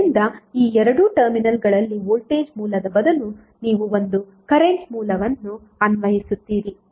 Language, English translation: Kannada, So instead of voltage source across these two terminals you will apply one current source